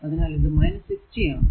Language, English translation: Malayalam, And this is 0